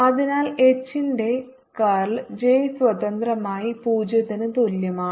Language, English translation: Malayalam, so we know that curl of h is j free, which is zero